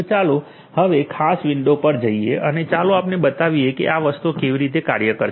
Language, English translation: Gujarati, So, let us now go to this particular window and let us show you how things are going to work